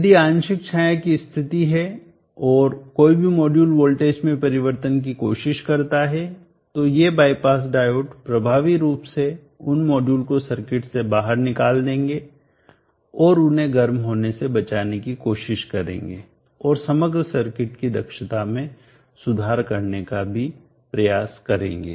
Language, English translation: Hindi, If there is partial shading any one of the modules try to have the emission in the voltage these bypass diodes will effectively removes those modules out of the circuit and try to save them from becoming hot and also try to improve the efficiency of overall circuit